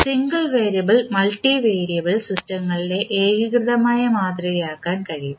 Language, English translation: Malayalam, And single variable and multivariable systems can be modelled in a unified manner